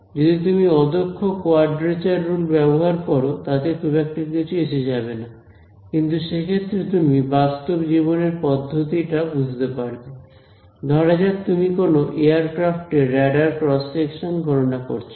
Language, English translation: Bengali, So, it will not matter very much even if you choose a inefficient quadrature rule, but you can imagine then real life systems let us say you are calculating the radar cross section of a aircraft